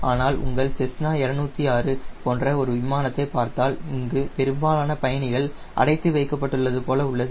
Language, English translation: Tamil, but if you see an aircraft like your cessna two zero six, where most of the passengers are confine here, so this portion is much empty here